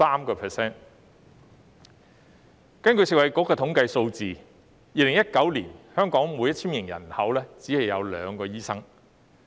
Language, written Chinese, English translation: Cantonese, 根據食物及衞生局的統計數字，在2019年，香港每 1,000 名人口只有2名醫生。, According to the statistics of the Food and Health Bureau FHB in 2019 for every 1 000 people in Hong Kong there were only two doctors